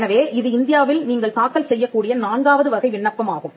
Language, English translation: Tamil, So, that is the fourth type of application you can file in India